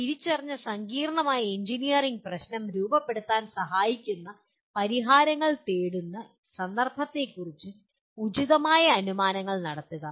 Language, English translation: Malayalam, Make appropriate assumptions, especially about the context in which the solutions are being sought that help formulate an identified complex engineering problem